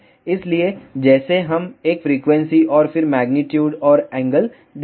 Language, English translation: Hindi, So, like we will be giving a frequency and then magnitude and angle